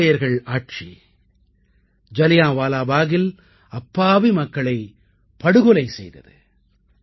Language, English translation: Tamil, The British rulers had slaughtered innocent civilians at Jallianwala Bagh